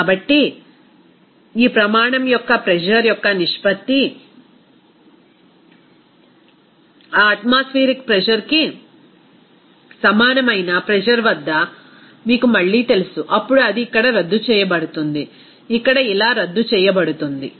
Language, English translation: Telugu, So, the ratio of this standard a pressure to its that you know again at a pressure of that equal to that atmospheric pressure, then it will be nullify here, to be canceled out here like this